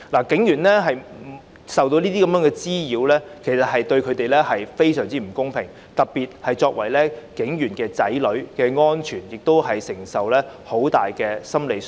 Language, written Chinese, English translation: Cantonese, 警員受到這些滋擾，對他們而言非常不公平，特別是他們亦因擔心子女安全而承受很大的心理傷害。, It is most unfair that police officers are subjected to such harassment particularly as they have suffered great psychological harm because they are worried about the safety of their children